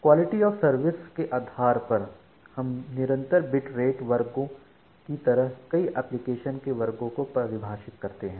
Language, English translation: Hindi, Now based on the quality of service we define multiple application classes like the constant bit rate classes